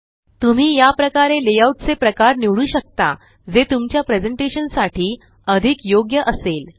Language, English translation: Marathi, You can similarly choose the layout type that is most suited to your presentation